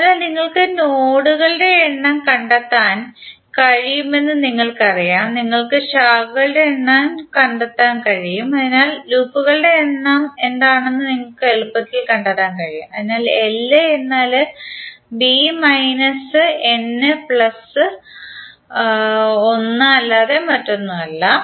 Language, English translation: Malayalam, So you know you can find out the numbers of nodes, you can find out the number of branches, so you can easily find out what would be the numbers of loops, so l would be nothing but b minus n plus one